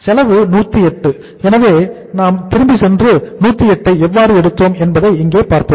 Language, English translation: Tamil, Cost is 108 so uh let us go back and see here how we have taken the 108